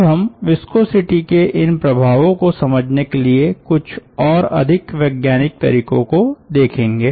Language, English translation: Hindi, now we will look into some bit more scientific way of looking into these effects of ah viscosity